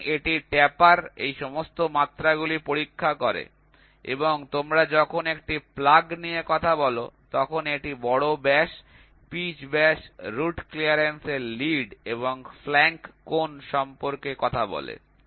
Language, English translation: Bengali, So, it checks all these dimensions in the taper and when you tuck a plug it talks about major diameter, pitch diameter, root clearance lead and flank angle